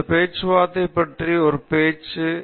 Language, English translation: Tamil, This is a talk about talks